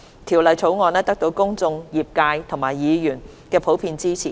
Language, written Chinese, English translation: Cantonese, 《條例草案》得到公眾、業界和議員的普遍支持。, It has received general support from the public the industry and Members